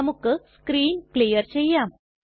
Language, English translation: Malayalam, Let us clear the screen